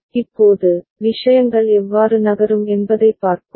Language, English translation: Tamil, Now, let us see how things move